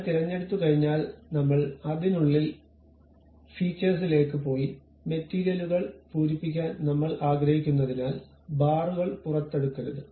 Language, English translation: Malayalam, Once I have picked I went inside of that to Features; not extrude bars because I do not want to fill the material